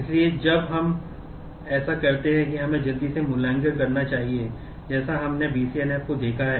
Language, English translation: Hindi, So, when we do that let us quickly evaluate as to we have seen BCNF